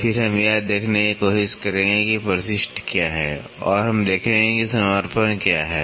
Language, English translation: Hindi, Then, we will try to see what is addendum and we will see what is dedendum